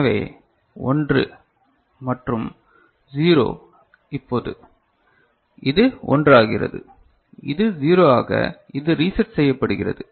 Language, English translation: Tamil, So, 1 and 0 now it becomes, this becomes 1 and this is 0 it becomes reset right